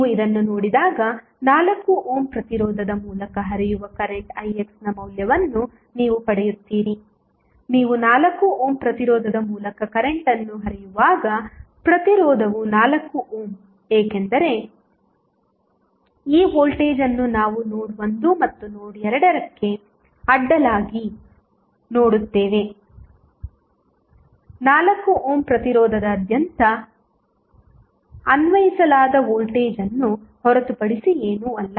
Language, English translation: Kannada, When you see this what you get you get the value of current Ix which is flowing through the 4 ohm resistance, the 4 ohm resistance when you the current flowing through 4 ohm resistance is because, you see this voltage we which is across the node 1 and node 2 is nothing but voltage applied across 4 ohm resistance also